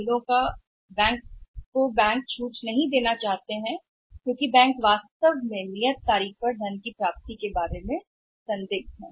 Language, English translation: Hindi, C category of the bills banks do not want to discount because banks are really doubtful about the realisation of the funds on the due date